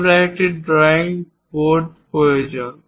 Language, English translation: Bengali, We require a drawing board